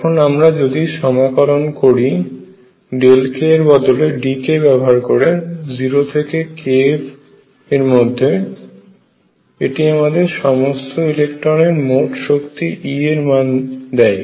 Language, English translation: Bengali, And if I integrate delta k being d k from 0 to k f this gives me total energy e of all these electrons